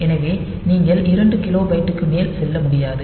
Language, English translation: Tamil, So, you cannot go beyond to kilobyte